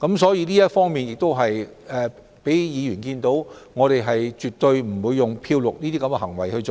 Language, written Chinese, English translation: Cantonese, 所以這方面能讓議員看到，我們絕不會"漂綠"項目。, Hence Members can see that we will absolutely not greenwash the projects